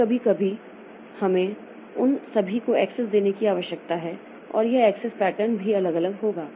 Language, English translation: Hindi, Now, sometimes we need to give access to all of them and that access pattern will also vary